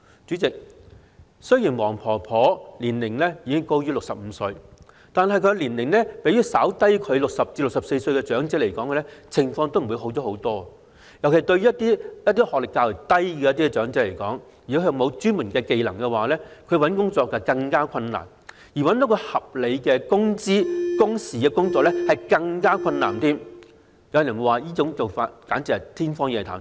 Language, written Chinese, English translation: Cantonese, 主席，雖然黃婆婆的年齡已高於65歲，但年齡比她稍低的60歲至64歲長者，情況也好不了多少，尤其是一些學歷較低及缺乏專門技能的長者，求職十分困難，而要找到一份提供合理工資及工時的工作則難上加難，有人甚至說是天方夜譚。, President while Mrs WONG is aged above 65 the life of those elderly persons aged between 60 and 64 just a bit younger than her is not much better . In particular those elderly persons with lower academic qualifications and no expertise find it difficult to get a job and it is even more difficult and some even call it a pipe dream to get a job that offers reasonable pay and work hours